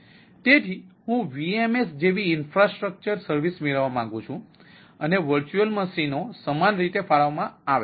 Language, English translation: Gujarati, so vm s, like i want to have infrastructure service and the virtual machines are allocated similarly